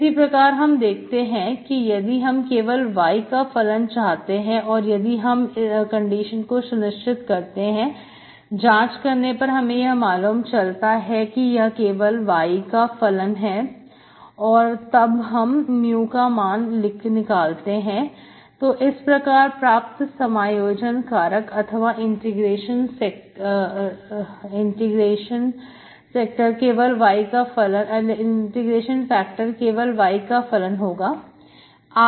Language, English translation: Hindi, Similarly if you look for, if you want only the function of y, if you check this condition, if you verify that, this is a function of y alone, then you can find your mu, and integrating factor as function of y alone